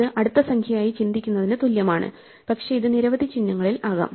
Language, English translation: Malayalam, This is like thinking of it as a next number, but this could be in an arbitrary number of symbols